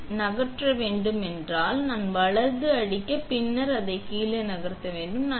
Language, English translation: Tamil, So, if I want to move this one up and down, I will hit the right and then I will move it up and down